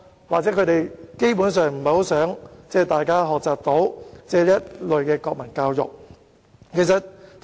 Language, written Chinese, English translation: Cantonese, 或許他們基本上是不想大家接受這類國民教育。, Perhaps they simply do not want people to receive this kind of national education